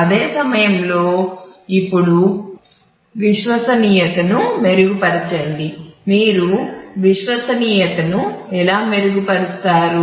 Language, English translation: Telugu, At the same time improve the reliability now how do you improve the reliability